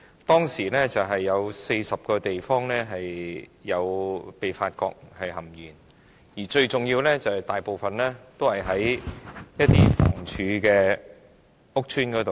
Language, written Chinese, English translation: Cantonese, 當時發現共40個地方的食水含鉛超標，當中大部分是房委會的公屋項目。, Back then a total of more than 40 places were found to have excess lead in drinking water most of which were the public rental housing estates under the Housing Authority